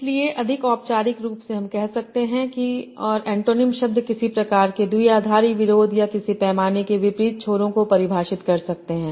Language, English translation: Hindi, So more formally we can say that antonyms can define some sort of binary opposition or at opposite ends of a scale